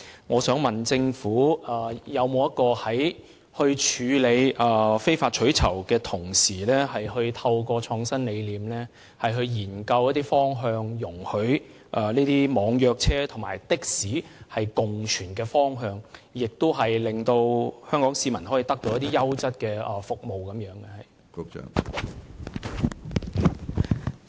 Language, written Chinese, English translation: Cantonese, 我想問政府，在處理非法取酬活動的同時，有否以創新理念作為研究方向，務求讓網約車和的士可以共存，亦令香港市民可以獲得優質的服務？, May I ask the Government when combating illegal carriage of passengers for reward has it adopted innovative thinking to explore the co - existence of e - hailing services and taxis with a view to providing quality services for the people of Hong Kong?